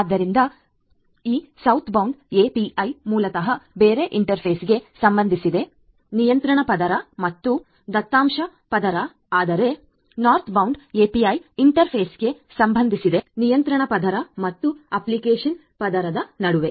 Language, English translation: Kannada, So, this Southbound API in other words basically concerns the interface between the control layer and the data layer whereas, the Northbound API concerns the interface between the control layer and the application layer